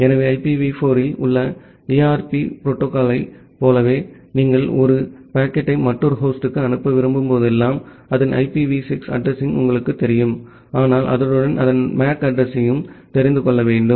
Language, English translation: Tamil, So, similar to the ARP protocol in IPv4, whenever you want to send a packet to another host you know its IPv6 address, but alongside you need to also know its MAC address